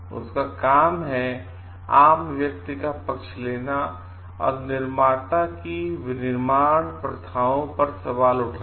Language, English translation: Hindi, His job is to stand beside the lay person, and to question the practices of the manufacturer